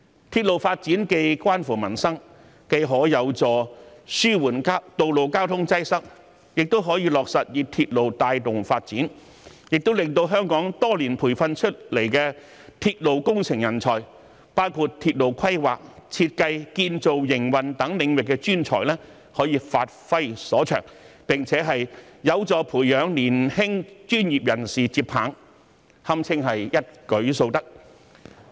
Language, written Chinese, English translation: Cantonese, 鐵路發展與民生息息相關，既有助紓緩道路交通擠塞，又可落實以鐵路帶動發展，令香港多年培訓出來的鐵路工程人才，包括鐵路規劃、設計、建造、營運等領域的專才，可以發揮所長，並且有助培養年輕專業人士接棒，堪稱一舉數得。, It not only helps relieve road traffic congestion but also allows the railway to drive development . The railway engineering talents trained in Hong Kong over the years including professionals in railway planning design construction and operation can make full play of their strengths . This will also help training young professionals to take over